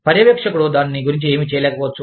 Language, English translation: Telugu, The supervisor, may not be able to do, anything about it